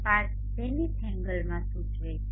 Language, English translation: Gujarati, 5 implies in zenith angle